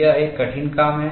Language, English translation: Hindi, That is a arduous task